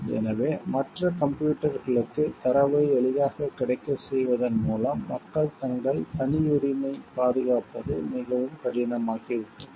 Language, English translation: Tamil, So, that is why by making data easily available to others computers made it very difficult for people to protect their privacy